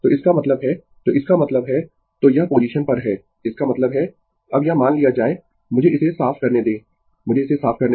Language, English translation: Hindi, So that means, so that means, so this is at the position; that means, this as suppose now, let me clear it let me clear it